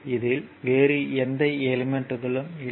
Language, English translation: Tamil, So, there is no other element here